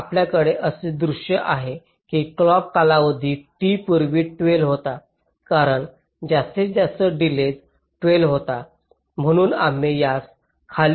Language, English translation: Marathi, we get a scenario that the clock period t, which was earlier twelve, because the maximum delay was twelve, we have been able to bring it down to ten